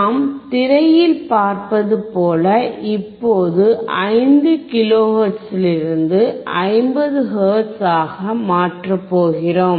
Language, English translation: Tamil, Now, as we have seen on the screen that we were going to change from 5 kilohertz to 50 hertz